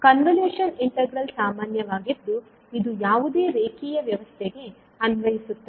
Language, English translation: Kannada, Now the convolution integral is the general one, it applies to any linear system